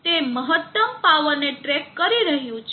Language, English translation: Gujarati, It is tracking the max power